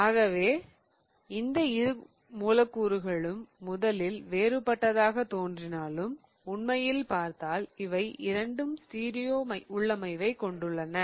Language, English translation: Tamil, So, if you really see both of these molecules even though they look different on the first go, both of them have the same stereo configuration